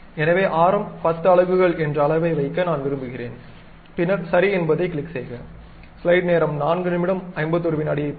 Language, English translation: Tamil, So, radius I would like to have something like 10 units, then click ok